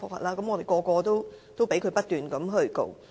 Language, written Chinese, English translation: Cantonese, 我們人人都被他不斷控告。, We are all being prosecuted by him continuously